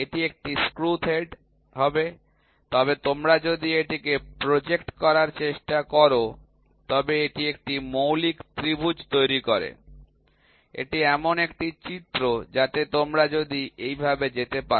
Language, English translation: Bengali, This will be a screw thread, but if you try to project at it forms a fundamental triangle, it is an image so, if you can go like this